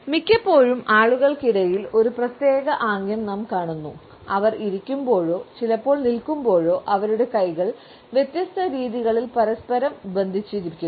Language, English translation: Malayalam, Often we come across a particular gesture among people, when they are sitting or sometimes standing over their hands clenched together in different positions